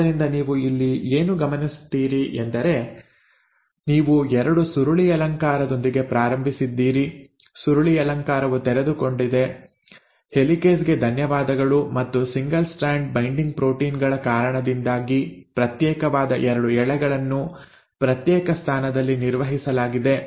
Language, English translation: Kannada, So what do you notice here is, you started with a double helix, the helix got uncoiled, thanks to the helicase and the 2 separated strands were maintained in a separate position because of the single strand binding proteins